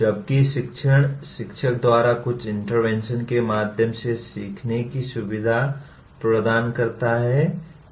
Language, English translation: Hindi, Whereas teaching is facilitating learning through some interventions by the teacher